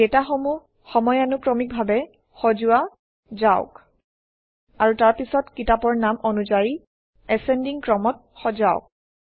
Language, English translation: Assamese, Let us sort the data in chronological order, And then sort it by the Book title in ascending order